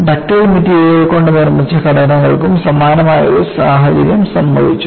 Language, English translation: Malayalam, A similar situation has happened for structures made of ductile materials